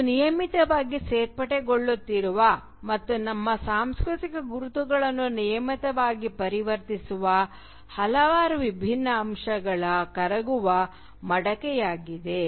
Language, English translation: Kannada, It is a melting pot of several disparate elements which are regularly being added and which are regularly transforming our cultural identities